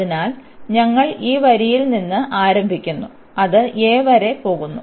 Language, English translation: Malayalam, So, we starts from this line and it goes up to a